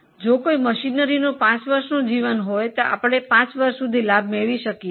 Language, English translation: Gujarati, If a machinery has a life of five years, we will get the benefit for five years